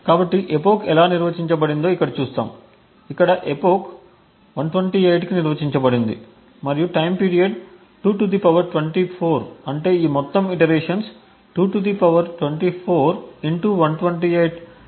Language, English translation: Telugu, So, we look at how the epoch is defined which is defined to 128 over here as seen over here and the time period is 2 ^ 24 which means that these loops are run for a total of (2 ^ 24) * 128 times